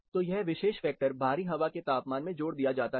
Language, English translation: Hindi, So, this particular factor is added to the outside air temperature